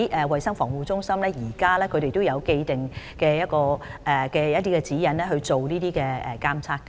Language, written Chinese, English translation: Cantonese, 衞生防護中心現時有既定的指引來進行這方面的監測。, CHP has established guidelines on conducting surveillance in this regard